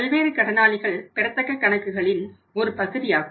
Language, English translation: Tamil, So, sundry debtors are the parts of the accounts receivable